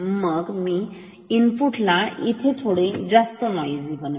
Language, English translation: Marathi, So, let me make the input more noisy